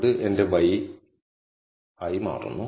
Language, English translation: Malayalam, So, that becomes my y